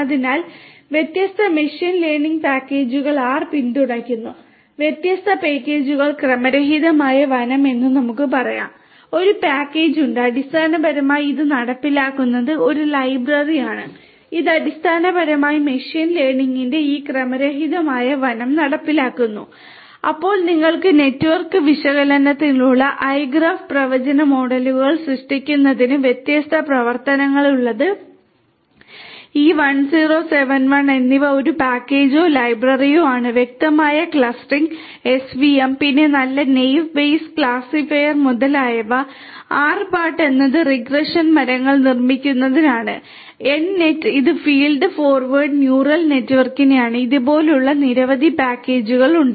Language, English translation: Malayalam, So, there are different machine learning packages that are also supported by R the different packages for let us say random forest, there is a package which; which basically implements this is a library which basically implements this random forest of machine learning, then you have different other things like igraph which is for network analysis, caret for having different functions for creating predictive models, e1071 is a package or a library which supports fuzzy clustering svm, then nice Naive Bayes classifier etcetera, rpart is for building regression trees, nnet is for feed forward neural network like this there are many other different packages that are supported for R